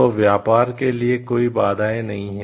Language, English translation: Hindi, So, that the barriers are trade does not happen